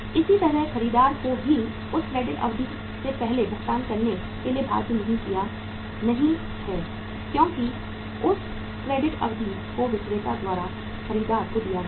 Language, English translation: Hindi, Similarly, the buyer is also not bound to make the payment prior to that credit period because that credit period has been given by the seller to the buyer